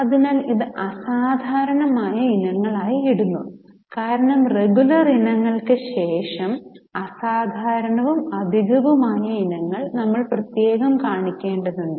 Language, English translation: Malayalam, So, we are putting it as exceptional items because if you remember after the regular items we have to separately show exceptional and extraordinary items